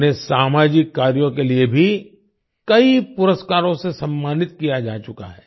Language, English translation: Hindi, He has also been honoured with many awards for social work